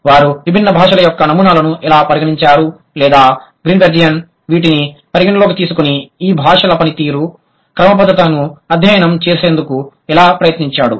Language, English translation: Telugu, How the languages, the different language sample, the different samples of languages that they have considered or that Greenberg has considered how it, how he tries to study the performance regularities of this language